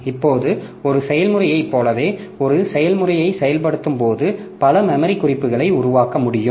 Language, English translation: Tamil, Now, just like a process while executing a process can generate a number of memory references